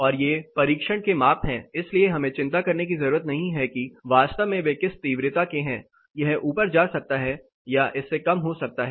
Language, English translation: Hindi, And this are test measurements so we do not have to worry about what intensity actually they are it may go up or it may be lesser than this